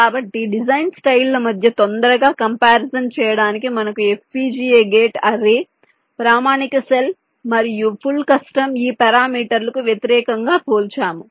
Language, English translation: Telugu, so in order to make a quick comparison among the design styles, so we are comparing fpga, gate array, standard cell and full custom